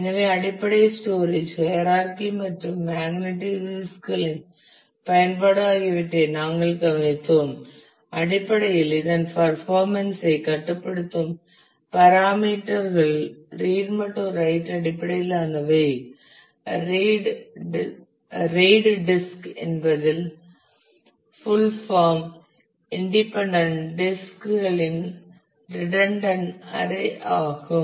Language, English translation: Tamil, So, we just took a look into the basic storage hierarchy and the use of magnetic disks and what are the parameters that control the performance in terms of the read write in terms of the disk RAID is a the full form is redundant array of independent disks